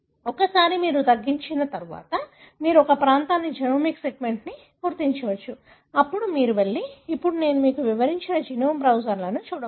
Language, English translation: Telugu, Once you have narrowed down then you can go identify a region, the genomic segment, then you can go and look at the genome browsers just now I described to you